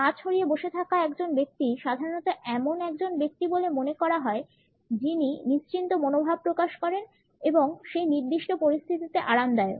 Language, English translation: Bengali, A person who is sitting with open legs normally comes across as a person who is opted for a relaxed position and is comfortable in a given situation